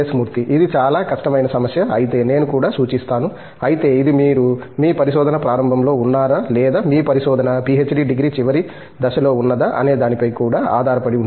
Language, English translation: Telugu, If itÕs a very difficult problem, I would even suggest but, it also depends on whether you are in the beginning of your research or are you moving towards the fag end of your research, PhD degree or so